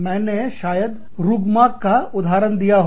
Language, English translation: Hindi, I may have given you this example, of Rugmark